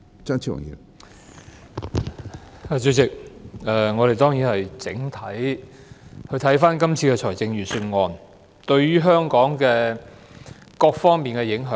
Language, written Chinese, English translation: Cantonese, 主席，我們當然要整體檢視今次財政預算案對香港各方面的影響。, Chairman we should of course conduct a holistic review of the implications of the Budget this year for Hong Kong in all aspects